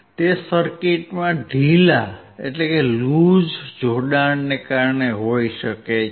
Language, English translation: Gujarati, That may be due to the loose connection in the circuit